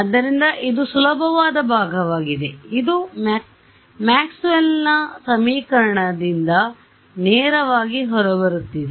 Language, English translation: Kannada, So, this is an easy part right this is coming straight out of Maxwell’s equation ok